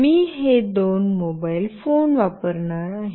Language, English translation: Marathi, I will be using these two mobile phones